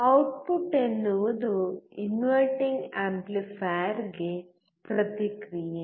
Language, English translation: Kannada, Output is feedback to the inverting amplifier